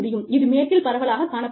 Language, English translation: Tamil, And, this is quite prevalent, in the west